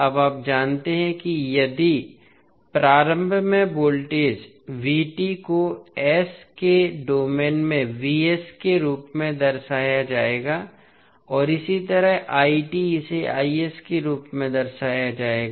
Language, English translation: Hindi, Now, you know that if the voltage across inductor is v at ant time t it will be represented as v in s domain and similarly, current It will be represented as i s